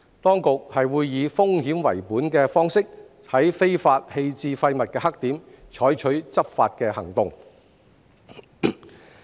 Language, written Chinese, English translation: Cantonese, 當局會以風險為本的方式，在非法棄置廢物的黑點採取執法行動。, Enforcement actions will be taken at black spots of illegal waste disposal under a risk - based approach